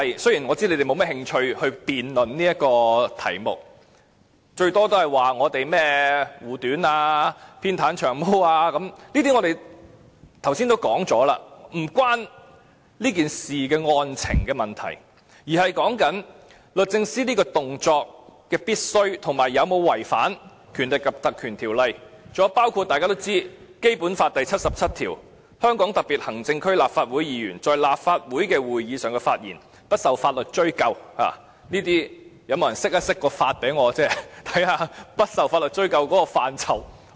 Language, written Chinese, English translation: Cantonese, 雖然我知道你們沒有甚麼興趣辯論這個題目，大不了說我們護短，偏袒"長毛"，這些我們剛才已說過，與這事的案情無關，而是律政司這個動作是否必要，以及有否違反《立法會條例》，還有就是大家都知道的《基本法》第七十七條，"香港特別行政區立法會議員在立法會的會議上發言，不受法律追究"，這裏有沒有人可以向我釋法，讓我知道不受法律追究的範疇為何。, We have talked about that just now which is irrelevant to the case in question . Now the point is about whether the request made by the Department of Justice is necessary and whether its act has contravened the Ordinance and Article 77 of the Basic Law which is well - known to all of us Members of the Legislative Council of the Hong Kong Special Administrative Region shall be immune from legal action in respect of their statements at meetings of the Council . Will anyone here please help me with the interpretation of this Article so that I will have the basic idea about how far a Member is immune from legal action